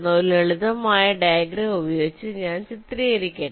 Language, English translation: Malayalam, let me just illustrate with the help of a simple diagram